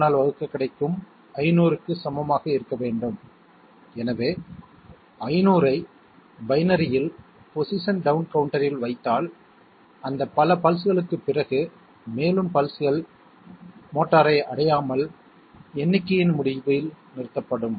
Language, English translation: Tamil, 01 equal to 500, so if we put 500 in binary in the position down counter, after those many pulses further pulses will be stopped by end of count from reaching the motor okay thank you